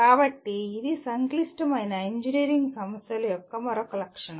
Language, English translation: Telugu, So that is another feature of complex engineering problems